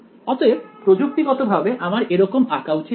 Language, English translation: Bengali, So, technically I should not draw it like this